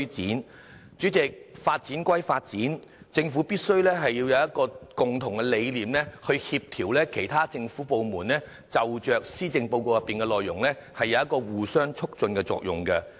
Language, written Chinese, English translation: Cantonese, 代理主席，發展歸發展，政府必須有共同理念去協調其他政府部門，就施政報告內容有互相促進的作用。, Deputy President development is of course important but the Government must also put forward a common vision for coordinating the work of different departments so that they can complement one anothers efforts to implement the measures proposed in the Policy Address